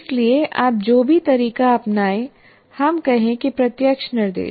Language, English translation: Hindi, So what happens, any approach that you take, let's say direct instruction